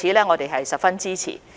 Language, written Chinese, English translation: Cantonese, 我們對此十分支持。, This move has our full support